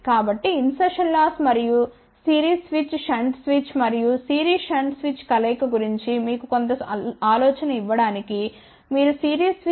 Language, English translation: Telugu, So, just to give you a little bit of an idea about insertion loss and isolation of series switch shunt switch and combination of series shunt switch, you can see ah for series switch insertion loss is of the order of 0